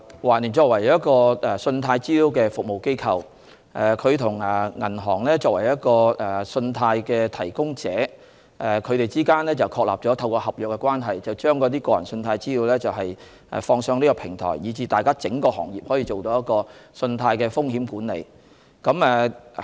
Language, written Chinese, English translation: Cantonese, 環聯作為一家信貸資料服務機構，在與作為信貸提供者的銀行之間，透過合約確立了合作關係後，把個人信貸資料上載網上平台，以讓整個行業進行信貸風險管理。, TransUnion as a CRA has established relationships with banks after signing contractual agreements and then uploads the personal credit data to a web platform for risk management by the industry as a whole